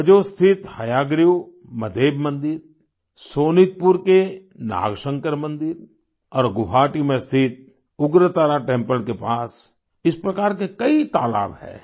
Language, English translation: Hindi, The Hayagriva Madheb Temple at Hajo, the Nagashankar Temple at Sonitpur and the Ugratara Temple at Guwahati have many such ponds nearby